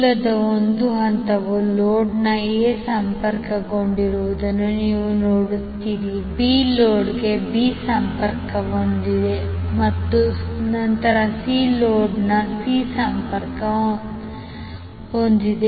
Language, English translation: Kannada, So you will see that the A phase of the source is connected to A of load, B is connected to B of load and then C is connected to C phase of the load